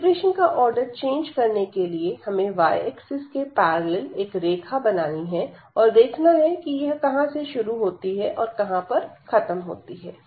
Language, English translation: Hindi, So, changing for y we have to now draw a line parallel to the y axis and see where it enters the domain and where it exit the domain